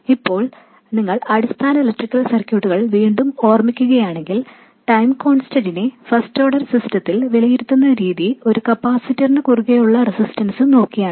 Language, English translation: Malayalam, Now again if you recall basic electrical circuits, the way you evaluate time constants in a first order system is by looking at the resistance that appears across a capacitor